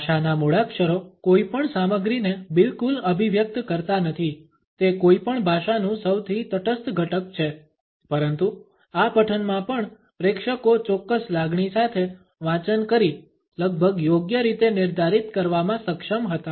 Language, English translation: Gujarati, Alphabet of a language does not convey any content at all it is a most neutral component of any language, but even in this recitation audience were able to almost correctly pinpoint the association of a reading with a particular emotion